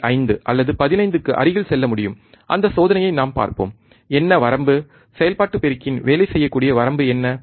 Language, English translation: Tamil, 5 or close to 15, we will see that experiment also that what is the range, what is the range of the operational amplifier that can work on, alright